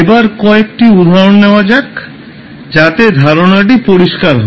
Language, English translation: Bengali, Now, let us take few of the examples so that you can understand the concept